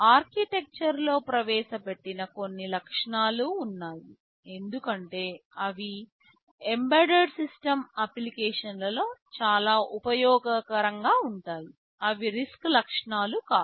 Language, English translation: Telugu, ;T there are some features which that have been introduced in the architecture because they are very useful in embedded system applications, which are not RISC characteristics